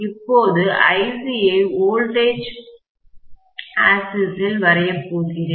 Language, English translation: Tamil, Now, I can draw Ic along the voltage axis